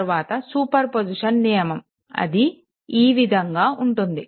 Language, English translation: Telugu, So, next is superposition principle so, this is something like this